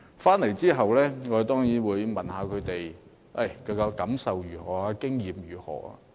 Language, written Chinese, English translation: Cantonese, 回來後，我問他們有甚麼感受，經驗如何。, I asked them of their feelings and experience when they returned